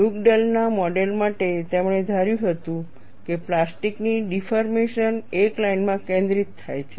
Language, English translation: Gujarati, For the Dugdale’s model, he assumed that plastic deformation concentrates in a line